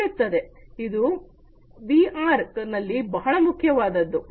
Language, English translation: Kannada, So, this is also very important in VR